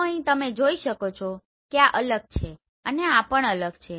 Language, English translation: Gujarati, So here you can see this is different and this is different